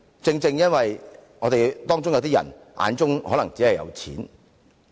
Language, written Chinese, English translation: Cantonese, 正正因為有些人的眼中可能只有錢。, This is precisely because everybody has only money in his eyes